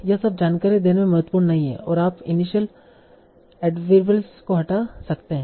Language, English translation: Hindi, All these are not important to convey the information and you can remove these initial adverbials